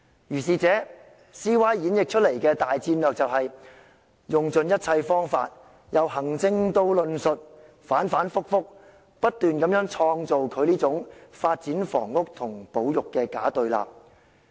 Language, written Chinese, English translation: Cantonese, 如是者 ，CY 演繹出來的大戰略便是用盡一切方法，由行政到論述，反反覆覆，不斷創造這種"房屋發展與保育"的假對立。, In this way CY has deduced a grand tactic to exhaust all means from executive to discourse to repeatedly construct a phony opposition of housing development versus conservation